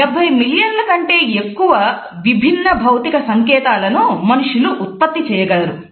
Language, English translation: Telugu, It is said that more than 70 million different physical science can be produced by humans